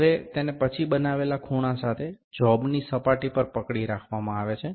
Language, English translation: Gujarati, Now, then it is held to the surface of the job with the angle is made